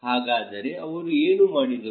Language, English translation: Kannada, So, what did they do